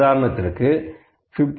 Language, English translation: Tamil, So, it is 15